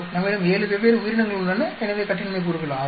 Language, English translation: Tamil, We have 7 different organisms, so degrees of freedom is 6